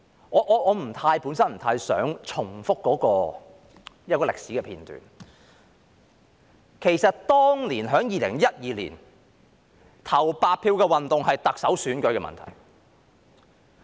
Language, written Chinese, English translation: Cantonese, 我本身不太想重複一個歷史片段，其實2012年當年投白票的運動是關乎特首選舉的。, I myself do not desire repetition of history . In fact the movement of casting blank votes in 2012 was related to the Chief Executive election . As we all know it was anonymous